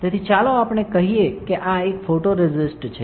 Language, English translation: Gujarati, So, let us say this is a photoresist